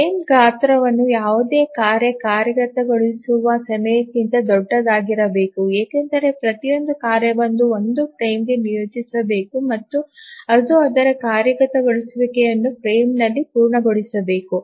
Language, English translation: Kannada, The first thing is that the frame size must be larger than any task execution time because each task must be assigned to one frame and it must complete its execution in the frame